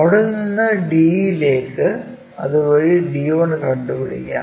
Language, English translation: Malayalam, In the similar way from there to d, we will locate d 1